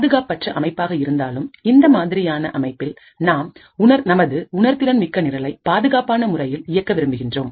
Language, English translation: Tamil, In spite of this untrusted system we would want to run our sensitive program in a safe and secure manner